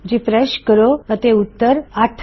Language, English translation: Punjabi, Refresh and that will be 8